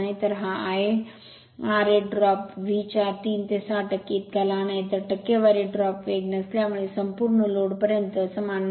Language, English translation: Marathi, So, this I a r a drop is very small about 3 to 6 percent of V therefore, the percentage drop is speed from no load to full load is of the same order right